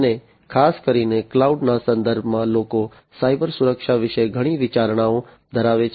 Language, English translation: Gujarati, And particularly in the context of cloud, people have lot of considerations about cyber security